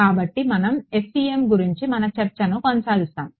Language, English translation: Telugu, So we will continue our discussion of the FEM